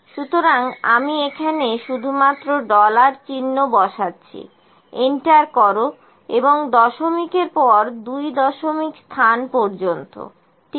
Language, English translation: Bengali, So, let me just put dollar sign here enter and up to two places of decimal, ok